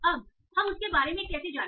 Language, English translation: Hindi, Now, how do we go about that